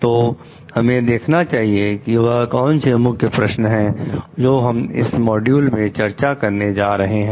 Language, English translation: Hindi, So, let us see what are the Key Questions that we are going to discuss in this module